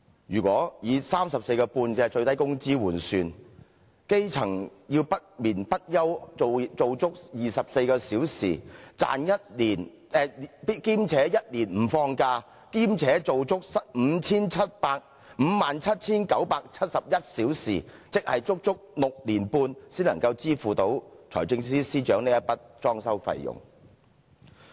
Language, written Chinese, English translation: Cantonese, 如果以 34.5 元最低工資換算，基層要不眠不休工作24小時，並且1年不放假，做足 57,971 小時，即是足足6年半才能支付財政司司長這筆裝修費用。, Given the minimum wage rate of 34.5 per hour a grass - roots citizen has to work for a total of 57 971 hours or six and a half years assuming that he works 24 hours a day without taking any rest and without taking any leave in a year before he can pay for this refurbishment fee